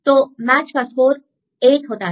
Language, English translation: Hindi, So, match; so match score equal to 8